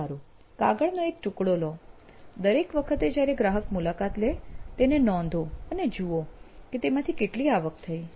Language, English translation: Gujarati, Well, take a piece of paper, every time a customer visits, note it down and see how much revenue you get out of this